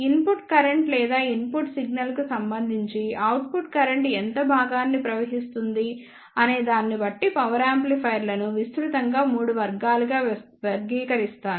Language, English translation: Telugu, Power amplifiers are broadly classified into 3 categories depending upon for how much portion the output current will flow with respect to the input current or input signal